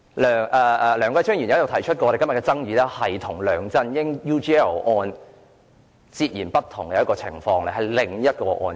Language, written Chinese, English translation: Cantonese, 梁繼昌議員曾指出，今天的爭議與梁振英 UGL 事件是截然不同的另一個案件。, Mr Kenneth LEUNG pointed out that the dispute in question today was totally different from the UGL incident in which LEUNG Chun - ying was involved